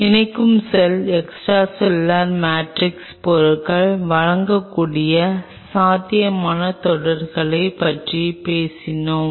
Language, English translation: Tamil, And we will talk about the possible interactions what is extracellular matrix materials are conferring on the attaching cell